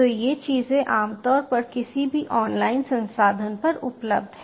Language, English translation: Hindi, so these tutorials are commonly available online